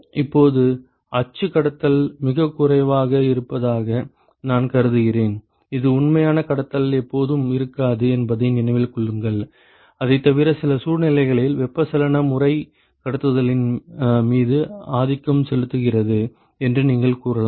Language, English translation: Tamil, Now, suppose I assume that the axial conduction is negligible remember this is never the case actual conduction is always there except that, there are some situations where you can say that the convection mode is dominating over the conduction